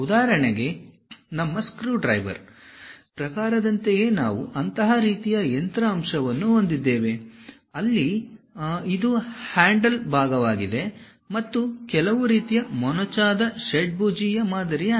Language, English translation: Kannada, For example, we have such kind of machine element, more like our screwdriver type, where this is the handle portion and there is some kind of tapered hexagonal kind of pattern